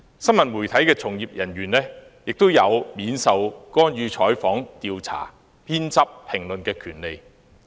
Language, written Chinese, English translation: Cantonese, 新聞媒體從業人員亦有免受干預採訪、調查、編輯及評論的權利。, Journalists and media practitioners have the right to conduct interviews and investigations as well as to edit and comment without interference